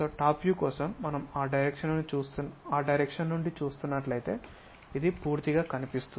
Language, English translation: Telugu, For the top view; if we are looking from that direction this entirely looks like that